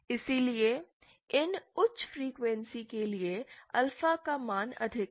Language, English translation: Hindi, So for these high frequencies the value of alpha was high